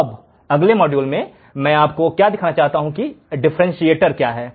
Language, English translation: Hindi, Now, in the next module, what I want to show you what is a differentiator